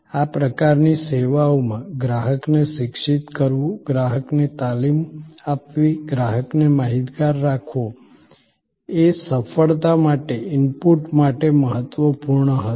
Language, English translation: Gujarati, In these types of services, educating the customer, training the customer, keeping the customer informed will be an important to input for success